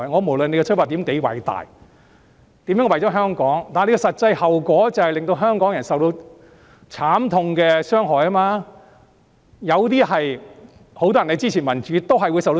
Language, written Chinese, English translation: Cantonese, 無論他們的出發點多偉大，無論他們表示如何為了香港好，實際後果都是令香港人受到慘痛的傷害，很多支持民主的人也會受到傷害。, No matter how great their ultimate aim is no matter how they claim to be doing that for the sake of Hong Kong the actual outcome will invariably be Hong Kong people being bitterly victimized . Many people who support democracy will likewise be victimized